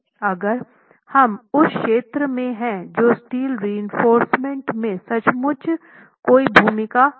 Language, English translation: Hindi, If we are in that zone, steel reinforcement literally has no role